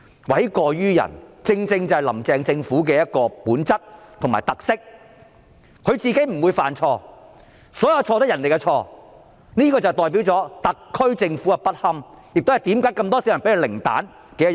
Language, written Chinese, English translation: Cantonese, 諉過於人正是"林鄭"政府的本質和特色，她自己不會犯錯，所有錯也是別人的錯，這代表了特區政府的不堪，也是這麼多市民給它零分的原因。, She herself makes no mistakes and all mistakes are made by others . This indicates how inept the SAR Government is and explains why so many people have given it a score of zero